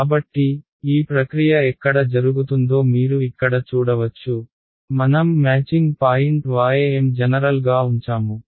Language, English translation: Telugu, So, you can see where this process is going right here I have kept the matching point ym is kept general